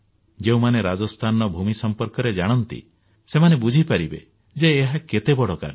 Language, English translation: Odia, Those who know the soil conditions of Rajasthan would know how mammoth this task is going to be